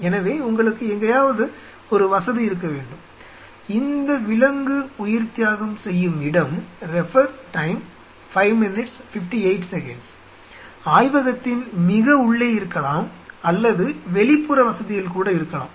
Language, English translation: Tamil, So, you have to have a facility somewhere and these this animal sacrificing should deep inside the lab even in the outer facility